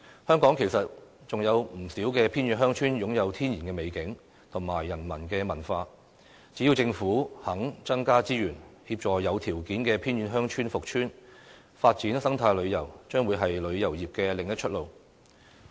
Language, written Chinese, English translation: Cantonese, 香港其實還有不少偏遠鄉村擁有天然美景及人文文化，只要政府肯增加資源，協助有條件的偏遠鄉村復村，發展生態旅遊將會是旅遊業的另一條出路。, Actually there are still quite a number of remote villages in Hong Kong exhibiting their natural beauty and culture . If the Government is willing to allocate more resources to help the rehabilitation of potential remote villages the development of eco - tourism will be another way out for the tourism industry